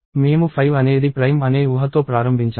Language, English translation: Telugu, I started with the assumption that 5 is prime